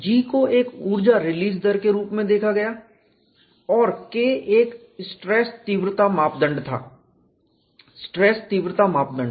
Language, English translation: Hindi, G was look that as an energy release rate and K was a stress intensity parameter, stress intensity factor